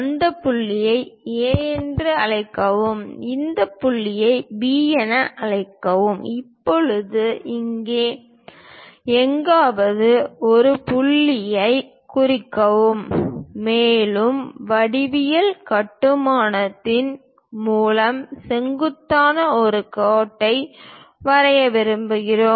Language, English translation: Tamil, Call this point A, call this point B; now mark a point K somewhere here, and we would like to draw a perpendicular line through geometric construction